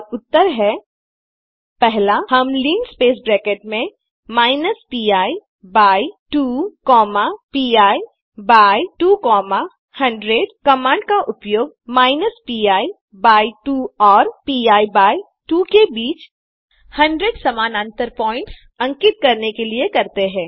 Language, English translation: Hindi, And the answers are, 1.We use the command linspace within brackets minus pi by 2 comma pi by 2 comma 100 to create 100 equally spaced lines between the points minus pi by 2 and pi by 2